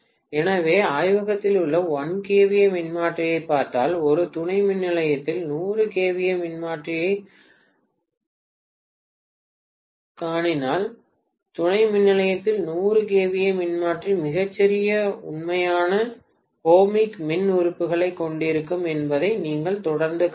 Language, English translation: Tamil, So if you look at the 1 kVA transformer in the lab, vis à vis the 100 kVA transformer in a substation, you would see invariably that 100 kVA transformer in the substation will have much smaller actual ohmic impedance